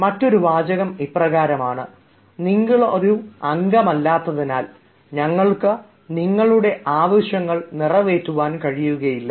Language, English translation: Malayalam, another sentence: we can also say: as you are not a member, we cannot entertain your demands